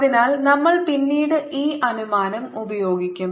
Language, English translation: Malayalam, so we will use this assumption later on